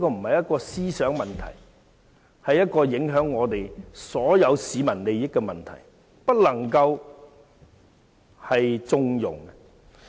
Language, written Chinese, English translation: Cantonese, 這不是思想的問題，而是影響所有市民利益的問題，是不能縱容的。, It is not an issue of thinking but an issue that affects the interests of all members of the public . Such thinking cannot be harboured